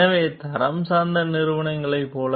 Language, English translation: Tamil, So, even like the quality oriented companies